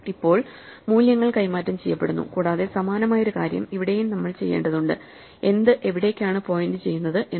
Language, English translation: Malayalam, Now, the values are swapped and we also have to do a similar thing for what is pointing where